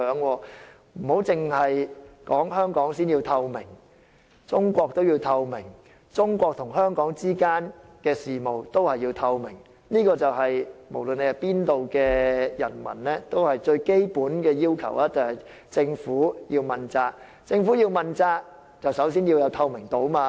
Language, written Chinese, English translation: Cantonese, 並非只是香港市民要求政府要有透明度，中國政府也要有透明度，中國與香港之間的事務也要透明，這對無論哪一方的人民而言，要求政府問責是最基本要求。, While people in Hong Kong demand transparency from the Government the Chinese Government should also operate with transparency . The affairs between China and Hong Kong should be transparent . To the people of Hong Kong or China the demand for a transparent government is the most basic right